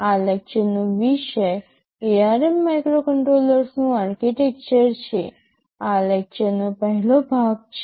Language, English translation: Gujarati, TSo, the topic of this lecture is Architecture of ARM Microcontroller, this is the first part of the lecture